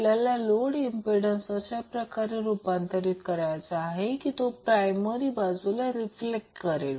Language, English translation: Marathi, So, to simplify what we have to do first we have to convert that load impedance in such a way that it is reflected to the primary side